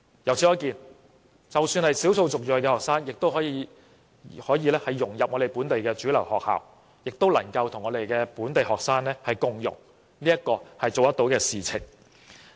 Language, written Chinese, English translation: Cantonese, 由此可見，即使是少數族裔學生，也可以融入本地主流學校，與本地學生共融，這是可以做得到的事情。, It is thus evident that even EM students can fully integrate into mainstream schools and get along well with local students . This is something that can be achieved